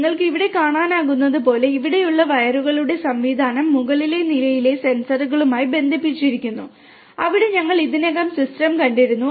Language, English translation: Malayalam, As you can see here sir, the system of wires here are connected to the sensors on the top floor, where we had already seen the system